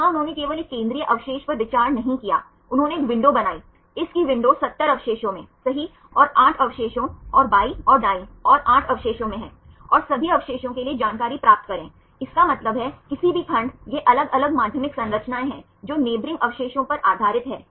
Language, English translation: Hindi, Here they did not consider only a central residue, they made a window; window of this is 70 residues right 8 residues at the left side and 8 residues at the right side right and get the information for all the residues ; that means, any segments these are different secondary structures based on the neighbouring residues